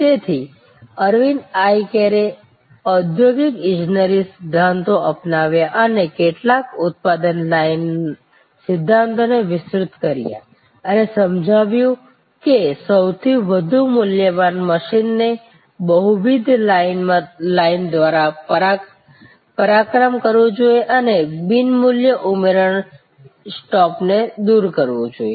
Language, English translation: Gujarati, So, Aravind Eye Care adopted industrial engineering principles to some extend production line principles and understood that the most high value machine has to be feat through multiple lines and non value adding stop should be removed